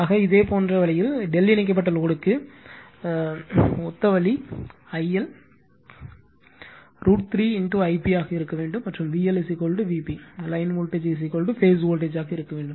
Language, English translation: Tamil, So, similar way that means, similar way for delta connected load also, just I L should be your root 3 I p and V L should be is equal to V p, line voltage is equal to phase voltage